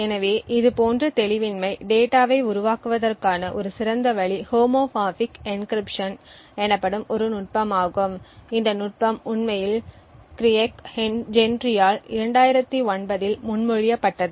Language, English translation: Tamil, So one ideal way to build such data of obfuscation is by a technique known as Homomorphic Encryption this technique was actually proposed by Craig Gentry in 2009